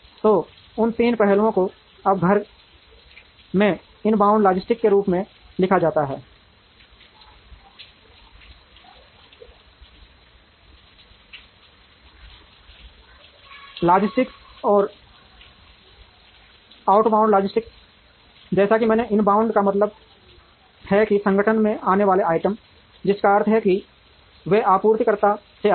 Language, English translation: Hindi, So, those three aspects are now written as inbound logistics, in house logistics, and outbound logistics, as I mentioned inbound means items that come into the organization, which means they come from the suppliers